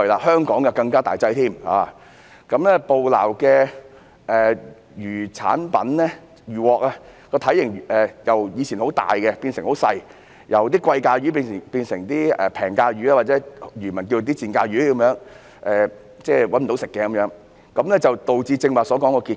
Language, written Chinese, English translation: Cantonese, 香港的情況更為嚴重，捕撈的漁穫由從前體型大的高價值品種，變成現在體型細小的低價值品種，或者漁民因賺不到多少錢而稱之為"賤價魚"的品種，這樣就導致剛才所說的結果。, The situation in Hong Kong is even more serious in that catch composition has changed from large high - value species to small low - value species or species that fishermen call cheap fish due to the small profit margin . This has led to the result just mentioned